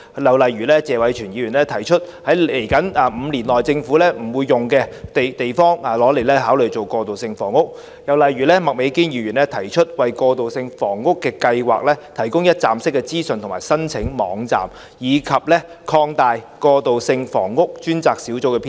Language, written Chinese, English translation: Cantonese, 例如謝偉銓議員提出，考慮把往後5年政府不會使用的地方，用來興建過渡性房屋；又例如麥美娟議員提出，為過渡性房屋計劃提供一站式資訊及申請網站，以及擴大過渡性房屋專責小組的編制。, For instance Mr Tony TSE proposes to consider the idea of constructing transitional housing on those sites which will not be used by the Government in the next five years . Another example is Ms Alice MAKs proposals of providing a one - stop information and application website for transitional housing programmes and expanding the establishment of the Task Force on Transitional Housing